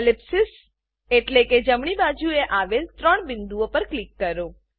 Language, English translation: Gujarati, Click the ellipsis (...) or the three dots on the right side